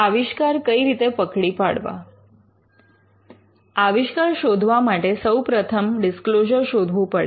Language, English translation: Gujarati, To look for an invention, the first thing is to look for a disclosure